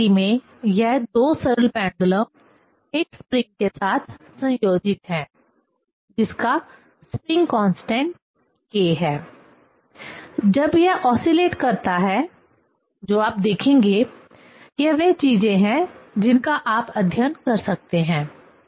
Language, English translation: Hindi, In this condition, individual simple this two simple pendulums are coupled with a spring having constant spring constant k; when it oscillates what will be seen, that is the things you, one can study